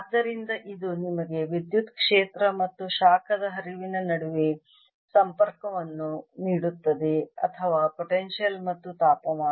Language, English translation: Kannada, so this gives you a connection between electric field and the heat flow or the potential and the temperature